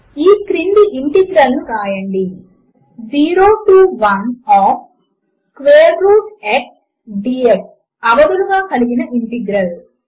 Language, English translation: Telugu, Write the following integral: Integral with limits 0 to 1 of {square root of x } dx